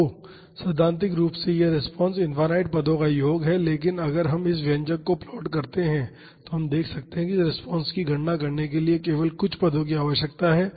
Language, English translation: Hindi, So, theoretically this response is the sum of infinite number of terms, but if we plot this expression, we can see that only a few terms are necessary to calculate this response